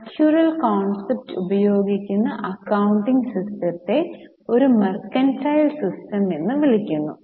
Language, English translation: Malayalam, Using the accrual concept, the system of accounting which is followed is called as a mercantile system